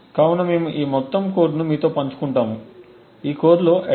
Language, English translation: Telugu, So we will be sharing this entire code with you, this code comprises of the attack